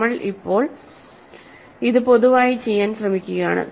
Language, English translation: Malayalam, We are now trying to do this in general